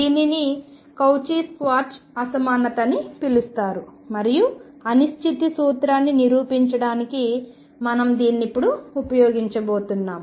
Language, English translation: Telugu, This is known as the Cauchy Schwartz inequality and we are going to use this now to prove the uncertainty principle